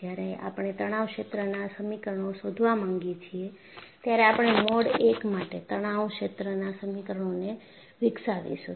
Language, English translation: Gujarati, And even, when we want to find out the stress field equations, we would develop the stress field equations for mode I